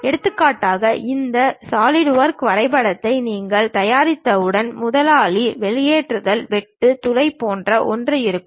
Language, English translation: Tamil, For example, once you prepare this Solidworks drawing, there will be something like boss, extrude, cut, hole kind of thing